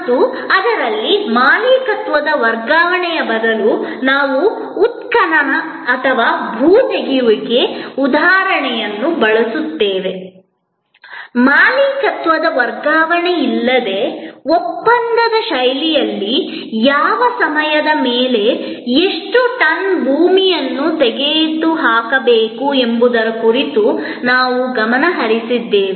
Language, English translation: Kannada, And in that, instead of transfer of ownership we use the example of excavation or earth removal, we focused on how much, how many tonnes of earth are to be removed over what span of time in a contractual fashion without the transfer of ownership of the machines, where the machines supplier now, supplies a service for earth removal